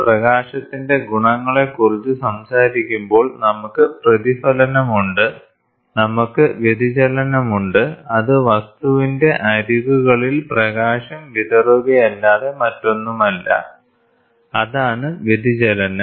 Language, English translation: Malayalam, When we talk about the properties of light, we have reflection, we have diffraction which is nothing but scattering of light around the edges of object, that is diffraction